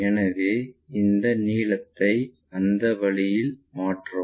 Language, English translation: Tamil, So, transfer this length in that way